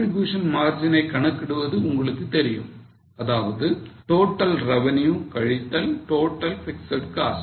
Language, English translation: Tamil, Now we can calculate, you know that contribution margin is total revenue minus total fixed cost